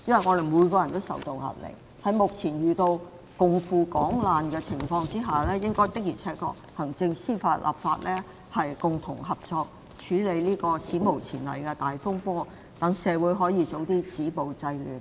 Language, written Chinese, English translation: Cantonese, 在目前大家均須共赴港難之際，行政、司法和立法的確要共同合作，處理這史無前例的大風波，好讓社會盡快止暴制亂。, At the present moment we must work together to face the crisis of Hong Kong the Executive Legislature and Judiciary must work with concerted efforts to handle this unprecedented crisis so as to stop violence and curb disorder as soon as possible